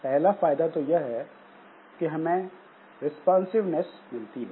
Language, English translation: Hindi, The first benefit that we have is the responsiveness